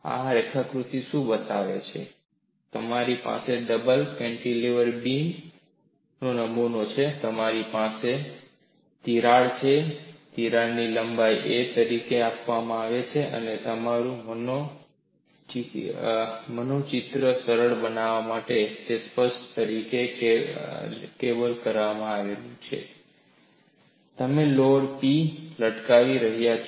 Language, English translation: Gujarati, What this sketch shows is, you have a double cantilever beam specimen, you have a long crack, the crack link is given as a, and to make your visualization easier, it clearly shows through a cable system, you are hanging a load P